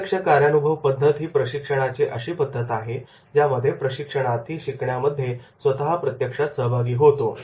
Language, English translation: Marathi, Hands on methods are training methods that require the trainee to be actually involved in learning